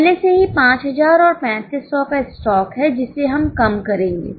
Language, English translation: Hindi, There is already opening stock of 5,000 and 3,500 which we will reduce